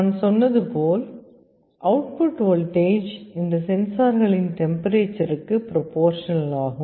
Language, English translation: Tamil, As I said the output voltage is proportional to the temperature in these sensors